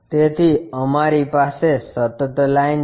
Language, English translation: Gujarati, So, we have a continuous line